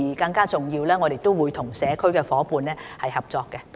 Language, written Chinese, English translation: Cantonese, 更重要的是，我們亦會與社區夥伴合作。, More importantly still we will collaborate with community partners as well